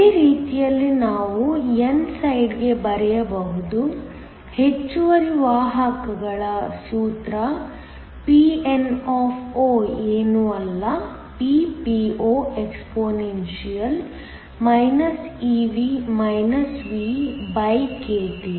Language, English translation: Kannada, Same way, we can write for the n side, the formula for the excess carriers so that, Pn is nothing but, Ppoexp eV VkT